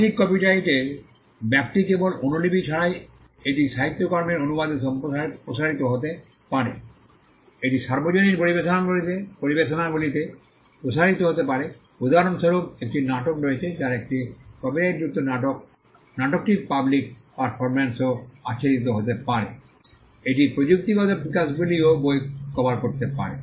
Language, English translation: Bengali, Scope of the right copyright extends beyond mere copy it can extend to translation of literary works, it can extend to public performances for instance there is a play a copyrighted play the public performance of the play could also be covered, it could also cover technological developments